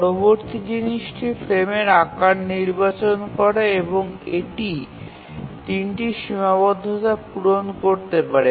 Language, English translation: Bengali, Now the next thing is to select the frame size and we have to see that it satisfies three constraints